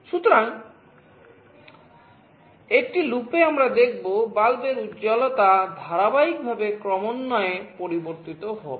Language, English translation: Bengali, So, in a loop we will see that the brightness of the bulb will progressively change in a continuous fashion